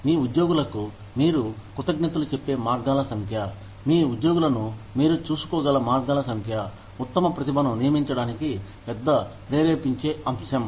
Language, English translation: Telugu, The number of ways in which, you can thank your employees, the number of ways in which, you can look after your employees, is a big motivating factor, for recruiting the best talent